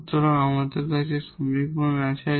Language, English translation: Bengali, So, how to get this auxiliary equation